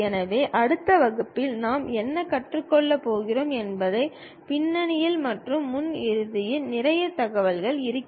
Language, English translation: Tamil, So, there will be lot of information goes at the background and the front end what we are going to learn in next classes